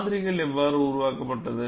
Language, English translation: Tamil, And how the model is developed